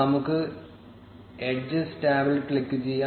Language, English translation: Malayalam, Let us click at the edges tab